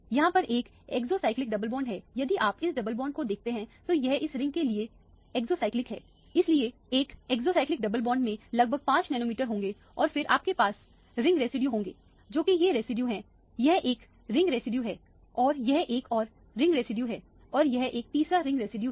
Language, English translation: Hindi, There is an exocyclic double bond, if you look at this double bond it is a exocyclic to this ring so one exocyclic double bond will add about 5 nanometers and then you have the ring residue, which are these residuals this is one ring residue and this is another ring residue and this is a third ring residue